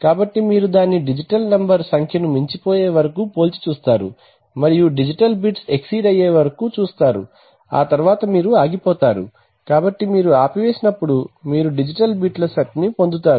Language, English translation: Telugu, So that is how you just compare it with a number of digital, number of digital number till it exceeds and at that point you stop, so you get so when you stop you get a set of digital bits